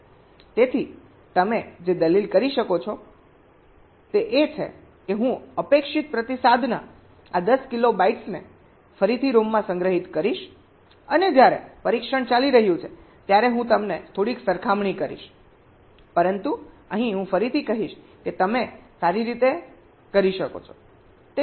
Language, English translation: Gujarati, so what you can argue is that well, i will store these ten kilobytes of expected response again in a rom and when the test is going on i will compare them bit by bit